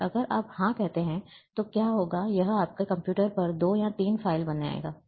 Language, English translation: Hindi, And if you say yes, then what it will do, it will create 2 or 3 files on your computer